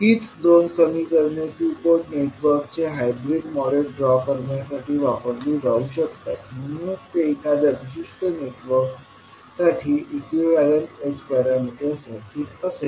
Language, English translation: Marathi, So the same equations you can utilize to draw the hybrid model of a two port network, so this will be your equivalent h parameter circuit for a particular network